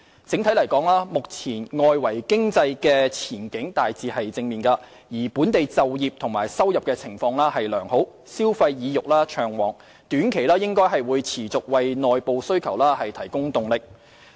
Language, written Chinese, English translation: Cantonese, 整體而言，外圍經濟前景目前大致正面，而本地就業及收入情況良好，消費意欲暢旺，短期內可望繼續為內部需求提供動力。, Generally speaking the external economic outlook is on the whole positive . The favourable employment and income conditions and good consumer sentiments are also expected to continue to drive internal demand in the short term